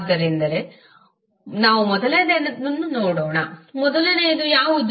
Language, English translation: Kannada, So let's see the first one, what is first one